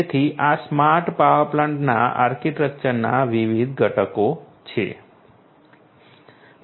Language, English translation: Gujarati, So, these are the different components of in the architecture of a smart power plant